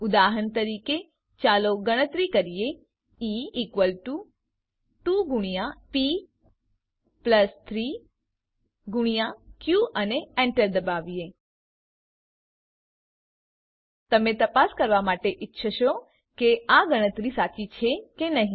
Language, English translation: Gujarati, For example, let us calculate E is equal to 2 times p plus 3 times q and press enter: You may want to verify whether these calculations are correct